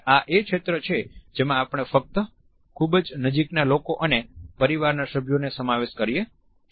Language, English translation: Gujarati, This is also a zone in which we allow only very close people and family members